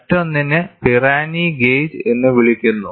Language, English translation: Malayalam, The other one is called as the Pirani gauge